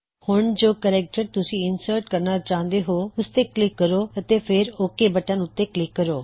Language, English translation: Punjabi, Now click on any of the special characters you want to insert and then click on the OK button